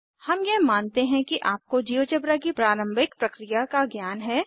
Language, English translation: Hindi, We assume that you have the basic working knowledge of Geogebra